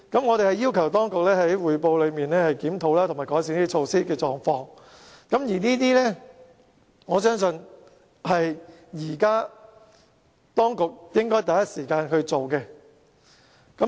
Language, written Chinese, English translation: Cantonese, 我們要求當局在報告裏面，檢討及改善這些措施，我相信這是當局應該第一時間做的。, We request the Administration to review and improve such measures in its report . I believe this should be the first thing the Administration should do